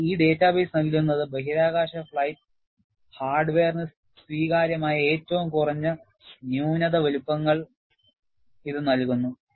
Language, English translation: Malayalam, But what this database provides is, it gives a standard of minimum flaw sizes, acceptable for space flight hardware